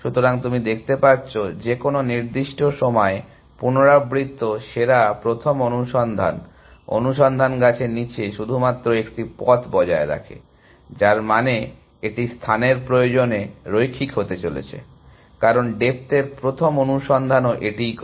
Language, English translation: Bengali, So, you can see that at any given point, recursive best first search maintains only one paths down the search tree, which means it is space requirement is going to be linear, because that is what the depth first search also does